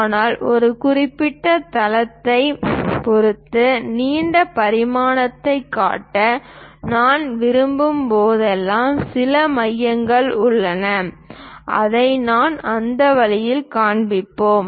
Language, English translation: Tamil, But whenever I would like to show position dimension with respect to certain base, there is some center we will show it in that way